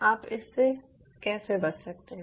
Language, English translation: Hindi, how you can avoid it